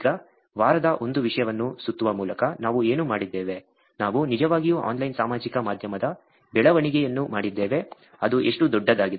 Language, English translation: Kannada, Now, just wrapping up the week 1 content, what all we have done, we have done actually growth of online social media, which is how large it is